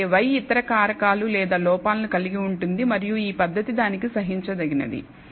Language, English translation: Telugu, Whereas, y could contain other factors or errors and so on and it is this method is tolerant to it